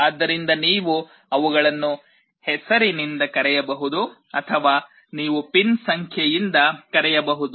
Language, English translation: Kannada, So, you can either call them by name or you can call them by the pin number